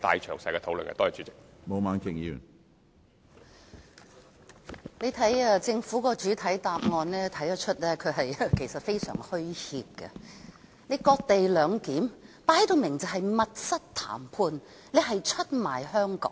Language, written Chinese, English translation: Cantonese, 從政府的主體答覆可以看到，他們其實非常虛怯，這次"割地兩檢"，分明就是密室談判，出賣香港。, We can see from the Governments main reply that they are in fact very scared . This cession - based co - location arrangement is obviously the result of backroom negotiations and a betrayal of Hong Kong